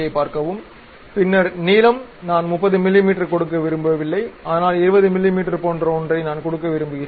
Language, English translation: Tamil, Then length I do not want to give 30 mm, but something like 20 mm I would like to give